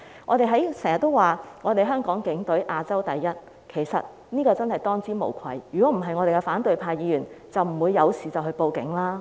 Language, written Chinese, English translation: Cantonese, 我們經常說香港警隊是亞洲第一，他們真的是當之無愧，否則反對派議員就不會遇事便報案了。, We often hail the Hong Kong Police Force as the best in Asia and they indeed fully deserve it . Otherwise Members of the opposition camp would not have reported to the Police whenever they were in trouble